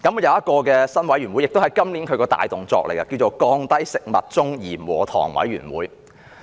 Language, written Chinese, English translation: Cantonese, 有一個新委員會，是局方今年的工作重點，叫"降低食物中鹽和糖委員會"。, Under the Bureau there is a new committee which is one of its work highlights . It is called the Committee on Reduction of Salt and Sugar in Food